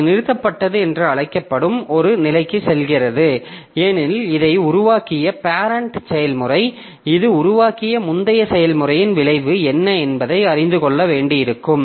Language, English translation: Tamil, And we remember this because the parent process who created this one may need to know what was the outcome of the previous process that it created